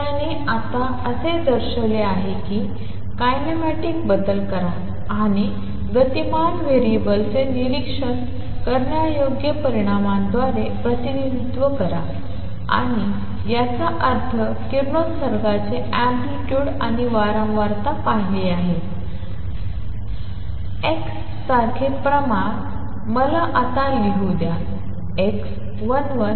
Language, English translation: Marathi, So, he has now shown that make kinematic changes and representing dynamical variables by observable quantities and that means, the amplitude and frequency of radiation observed